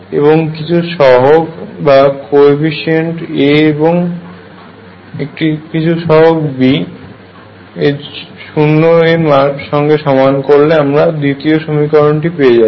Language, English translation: Bengali, With some coefficient here A, plus some coefficients here B equals 0 that is the second equation